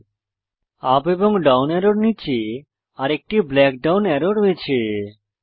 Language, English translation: Bengali, Below the up and down arrows is another black down arrow